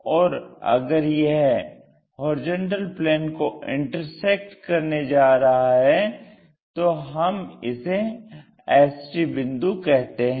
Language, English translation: Hindi, And if it is going to intersect the horizontal plane we call that one as HT point